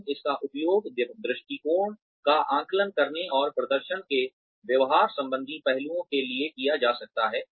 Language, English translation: Hindi, But, it could be used for, assessing attitude, and the behavioral aspects of performance